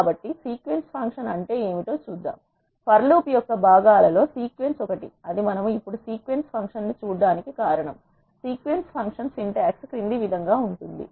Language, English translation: Telugu, So, let us see what is a sequence function, sequence is one of the components of the for loop that is the reason why we are looking at the sequence function now, sequence function syntax is as follows